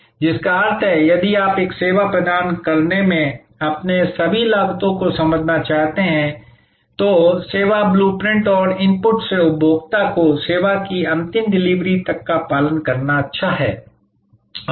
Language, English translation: Hindi, So, which means that, if you want to understand all your costs in providing a service, it is good to draw the service blue print and follow from the input to the final delivery of service to the consumer